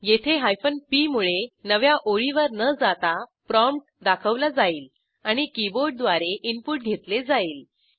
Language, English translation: Marathi, Here p displays the prompt, without a newline and takes input from the keyboard